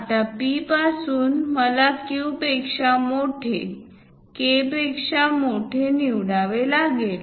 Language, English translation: Marathi, Now, from P; a distance I have to pick greater than Q, greater than K